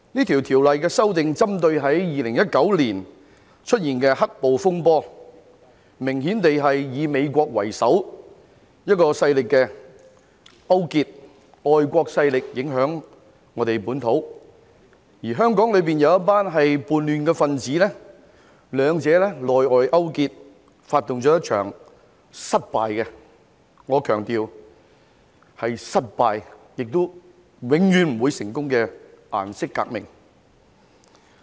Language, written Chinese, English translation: Cantonese, 《條例草案》中的修訂，是針對2019年出現的"黑暴"風波，明顯地是以美國為首的外國勢力影響本土，而香港有一群叛亂分子，兩者內外勾結，發動了一場失敗——我強調是失敗——而且永遠不會成功的顏色革命。, The amendments in the Bill are proposed in response to the disturbances arising from the black - clad violence that took place in 2019 which was obviously the result of foreign forces led by the United States US influencing our domestic affairs . There was also a gang of rebels in Hong Kong colluding with them internally and externally to stage an unsuccessful―I stress that it is unsuccessful―colour revolution which will never succeed either